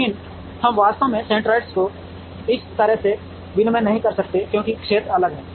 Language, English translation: Hindi, But we actually cannot exchange the centroids like that because the areas are different